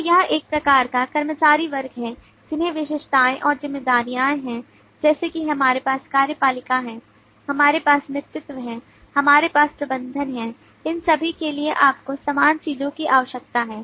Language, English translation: Hindi, so this is a kind of employee class with attributes and responsibilities similarly we have executive, we have lead, we have manager all of these you need similar things to be done